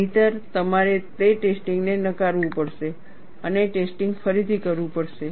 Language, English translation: Gujarati, Otherwise you have to reject the test, and redo the test